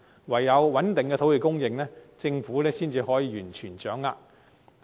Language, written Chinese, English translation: Cantonese, 唯有穩定土地供應，政府才能完全掌握市況。, The Government can only completely grasp the market situation by maintaining a stable land supply